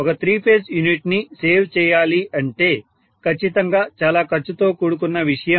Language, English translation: Telugu, To save a complete three phase unit it will be definitely more expensive